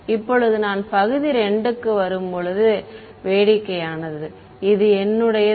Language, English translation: Tamil, Now, when I come to region 2 is where the fun lies right this is my